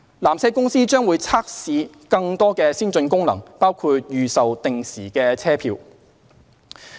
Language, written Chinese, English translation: Cantonese, 纜車公司將會測試更多先進功能，包括預售定時車票。, PTC will test more advanced features including advanced sale of timed tickets